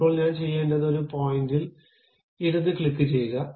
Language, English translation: Malayalam, Now, what I have to do, give a left click on one of the point